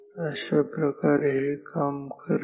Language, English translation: Marathi, So, this is how it works